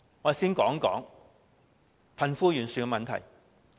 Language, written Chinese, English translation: Cantonese, 我先談談貧富懸殊的問題。, Let me first talk about the wealth gap